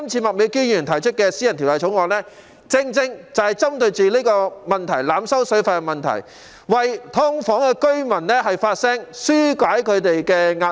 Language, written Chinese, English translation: Cantonese, 麥美娟議員這次提出的《條例草案》，正正針對濫收水費的問題，為"劏房戶"發聲，紓解他們的壓力。, The Bill introduced by Ms Alice MAK this time around precisely seeks to address the problem of overcharging for use of water and her intention is to speak up for subdivided unit tenants and alleviate their pressure